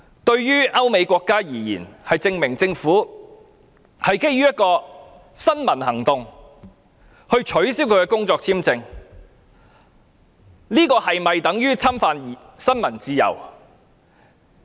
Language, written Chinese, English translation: Cantonese, 對於歐美國家而言，政府基於一項新聞活動而取消他的工作簽證，這是否等於侵犯新聞自由？, In Europe or America is it an infringement of freedom of the press if the Government cancels the work visa of a person because of a news activity?